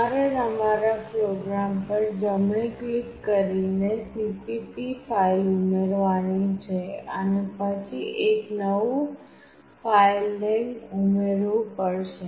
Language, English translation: Gujarati, You have to add the cpp file by right clicking on your program and then add a new filename